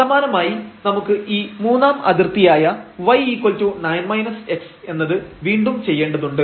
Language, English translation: Malayalam, Similarly, we have to do again this third boundary y is equal to 9 minus x